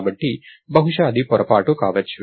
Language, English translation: Telugu, So, maybe it was a mistake